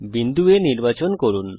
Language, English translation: Bengali, Select point A